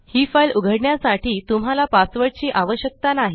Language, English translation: Marathi, You do not require a password to open the file